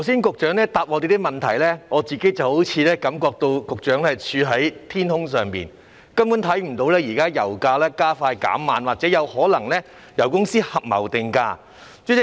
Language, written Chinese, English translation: Cantonese, 局長剛才回答我們的質詢時，我個人覺得局長好像處於天空，根本看不到現在油價加快減慢，或者油公司有可能合謀定價的情況。, When the Secretary answered our questions just now he was like staying in the sky and could not see that pump prices were quick to go up but slow to come down or there might be price fixing among oil companies